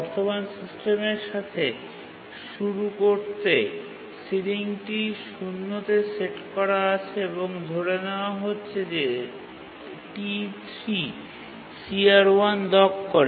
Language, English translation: Bengali, To start with, the current system ceiling is set to 0 and let's assume that T3 locks CR1